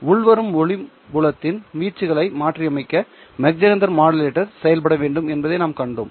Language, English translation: Tamil, So we have already seen how MagSenter modulator can be used to modulate the amplitude of the incoming light field